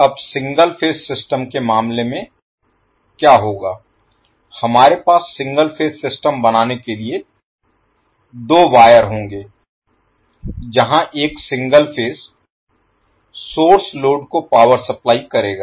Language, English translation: Hindi, Now, in case of single phase system what will happen we will have two wires to create the single phase system where one single phase source will be supplying power to the load